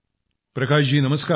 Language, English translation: Marathi, Prakash ji Namaskar